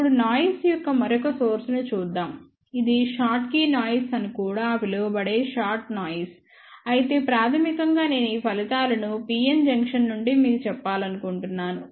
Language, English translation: Telugu, Now, let us just look at the another source of the noise which is a shot noise also known as schottky noise, but basically I want to tell you this results from pn junction